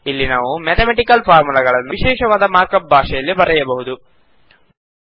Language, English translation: Kannada, Here we can type the mathematical formulae in a special markup language